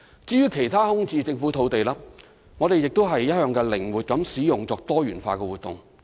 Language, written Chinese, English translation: Cantonese, 至於其他空置政府用地，我們亦一向靈活使用，以進行多元化活動。, We have also been making flexible use of other vacant government sites for a variety of activities